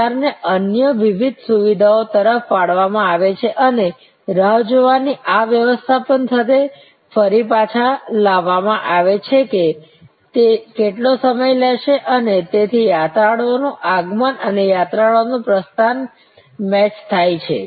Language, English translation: Gujarati, So, the queue is diverted to various other facilities and again brought back with this management of the waiting line estimation of how long it will take and so arrival of pilgrims and departure of pilgrims are matched